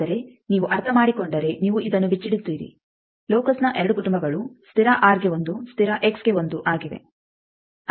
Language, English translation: Kannada, But if you understand then you will unravel this; Two families of locus one for constant R bar, one for constant X bar